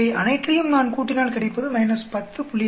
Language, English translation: Tamil, I can add up overall that comes out to be minus 10